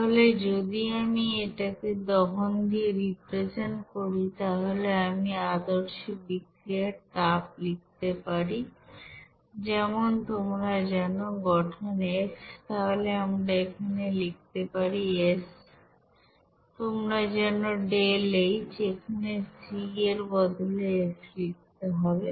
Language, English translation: Bengali, So if we represent it as per combustion, so we can write here standard heat of reaction of as for you know formation f, so we can write here this s you know that deltaH here f instead of c